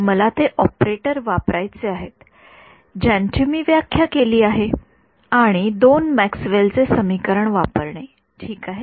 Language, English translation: Marathi, I have to use those operators which I have defined and use the two Maxwell’s equations ok